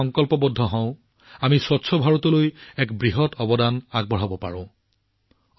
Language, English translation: Assamese, If we resolve, we can make a huge contribution towards a clean India